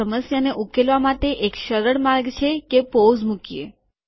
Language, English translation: Gujarati, One way to solve this problem is to put a pause